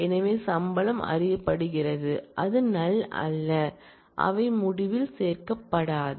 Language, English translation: Tamil, So, salary is known it is not null those will not get included in the result